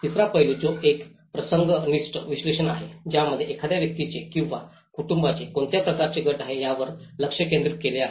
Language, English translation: Marathi, The third aspect, which is a situational analysis, it focuses just on what kind of group a person or a family belongs to